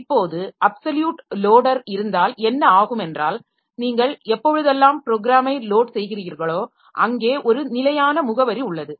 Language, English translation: Tamil, Now in case of absolute loader, what happens is that whenever you load the program, there is a fixed address from where it is loaded